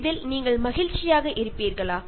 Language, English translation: Tamil, Will you be happy with this